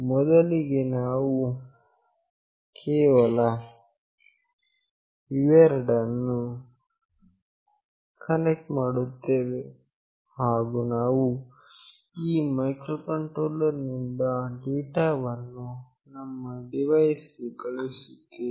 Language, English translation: Kannada, First we will just connect these two, and we will send a data from this microcontroller to my device